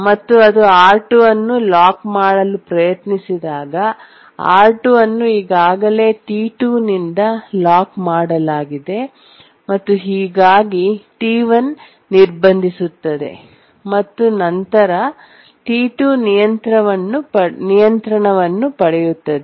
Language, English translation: Kannada, And when it locks R2, R2 has already been locked by T1 and therefore, sorry, R2 has already been locked by T2 and therefore T1 blocks